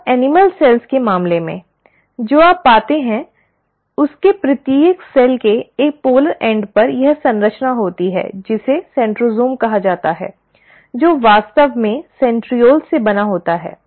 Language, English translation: Hindi, Now, in case of animal cells, what you find is each cell at one of its polar end has this structure called as the centrosome which actually is made up of centrioles